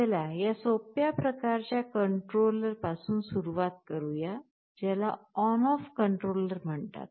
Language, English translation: Marathi, Let us start with this simplest kind of controller called ON OFF controller